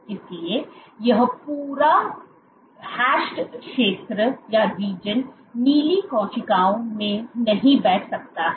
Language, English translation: Hindi, So, this entire hashed region in blue cells cannot sit